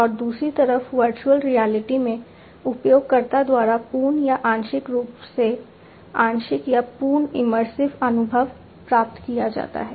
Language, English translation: Hindi, And in virtual reality on the other hand complete or partly partial or complete immersive experience is obtained by the user